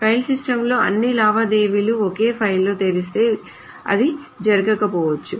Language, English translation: Telugu, In file systems, it may not happen if all the transactions are opened in the same file